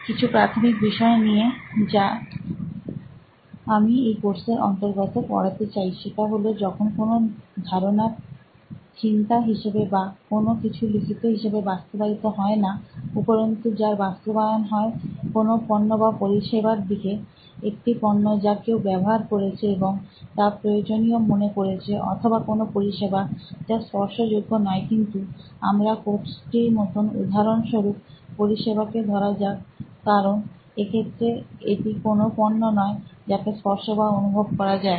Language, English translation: Bengali, I wish to set some kind of background before I start the course, some basics that I want to cover is that when ideas are implemented not as a thought, not as a something you just write down, but something that is implemented, leads to a product or a service, a product which somebody uses and finds it useful or a service, not a tangible one, but stands for like my course, for example is considered a service because you do not see a product that you can touch and feel